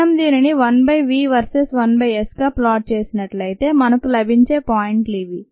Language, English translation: Telugu, if we plot this one by v versus one by s, these are the points that we get now